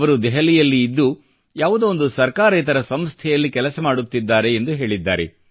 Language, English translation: Kannada, He says, he stays in Delhi, working for an NGO